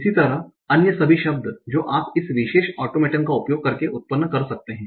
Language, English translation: Hindi, So now what kind of words that you can generate by using this automaton